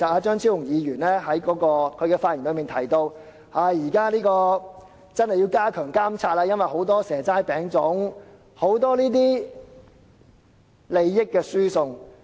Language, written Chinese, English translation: Cantonese, 張超雄議員在發言時提到，現時真的要加強監察，因為有很多"蛇齋餅粽"的情況，有很多這類利益輸送。, Dr Fernando CHEUNG has mentioned in his speech that there is a genuine need to strengthen monitoring for the problem of offering seasonal delicacies is prevalent and there are many similar cases of transfer of benefits